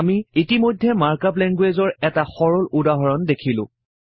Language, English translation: Assamese, We already saw one simple example of the mark up language